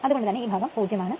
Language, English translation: Malayalam, So, it will be 0